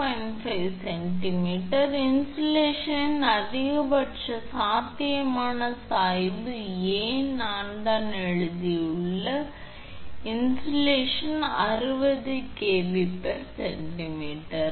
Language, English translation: Tamil, 5 centimeter maximum potential gradient of insulation A I have just written A, of insulation A 60 kilo volt per centimeter